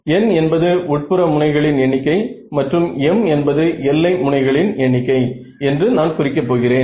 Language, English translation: Tamil, So, I am going to say n is the number of interior edges and m is the number of boundary edges ok